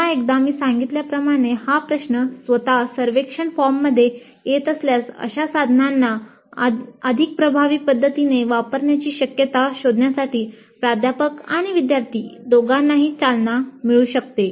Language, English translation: Marathi, Again as I mentioned, having this question itself in the survey form may trigger both the faculty and students to explore the possibilities of using such tools in a more effective fashion